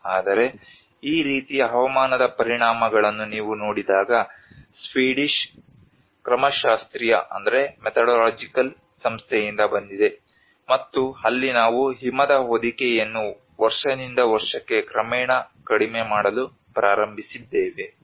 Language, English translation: Kannada, But when you look at the weather impacts like this is from the Swedish methodological agency and where we can see the snow cover have started gradually reduced from year after year